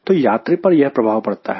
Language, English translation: Hindi, so that is the impression a passenger gets